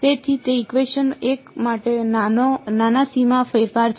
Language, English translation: Gujarati, So, that is the small boundary modification for equation 1